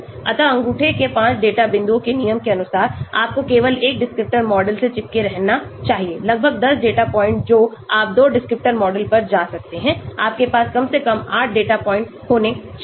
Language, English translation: Hindi, So as per rule of thumb 5 data points you should stick to only one descriptor model, approximately 10 data points you can go for 2 descriptor model at least 8 data points you should have